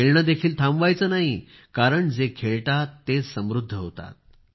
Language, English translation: Marathi, Do not stop playing, for those who play are the ones that blossom